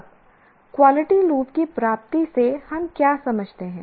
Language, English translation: Hindi, Now, what do we understand by the attainment of this quality loop